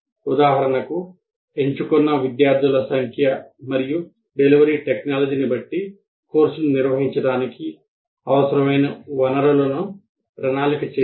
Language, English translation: Telugu, For example, depending on the number of students and delivery technology chosen, the resources needed to conduct the course or to be planned